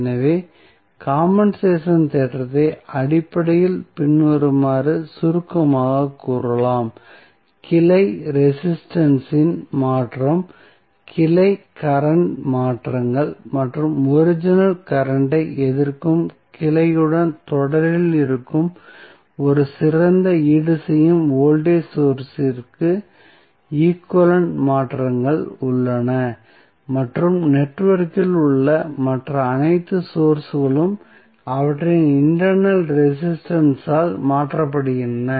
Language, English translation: Tamil, So, what you can say the compensation theorem can basically summarized as follows that with the change of the branch resistance, branch current changes and the changes equivalent to an ideal compensating voltage source that is in series with the branch opposing the original current and all other sources in the network being replaced by their internal resistance